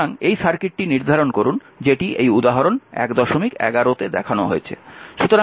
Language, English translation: Bengali, So, determine this circuit is shown this is say example 11